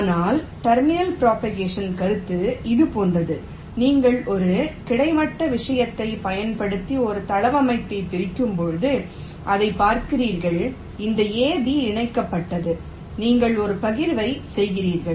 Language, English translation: Tamil, but terminal propagation concept is something like this: that when you partition a layout using a horizontal thing, you see this: this ab was connected